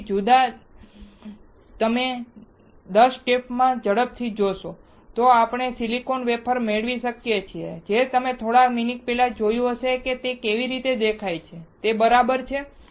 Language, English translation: Gujarati, So, if you see quickly in 10 different steps, we can we can have silicon wafer which you have just seen before few minutes right how it looks like